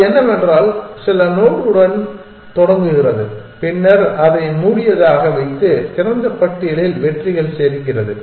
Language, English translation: Tamil, What it does is it is starts with some node then it puts it into closed and adds it is successes to the open list